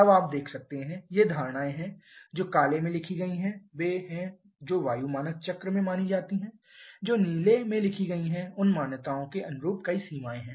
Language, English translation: Hindi, Now there you can see these are the assumptions the one written in black are the ones that are considered in air standard cycles and the one written in blue are several limitations corresponding to those assumptions